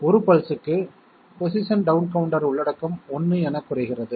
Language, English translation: Tamil, 1 pulse comes in and position down counter content goes down by 1